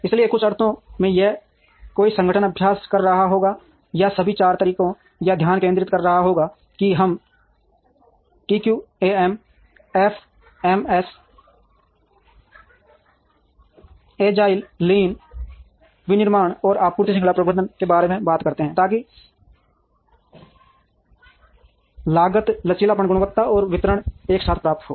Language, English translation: Hindi, So, in some sense if an organization would be practicing or would be concentrating on all the four methodologies, that we talk about TQM, FMS, Agile, Lean manufacturing, and Supply Chain Management, so that cost flexibility quality and delivery are simultaneously achieved